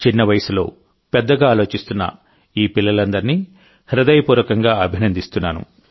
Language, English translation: Telugu, I heartily appreciate all these children who are thinking big at a tender age